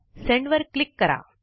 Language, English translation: Marathi, Next, click on Continue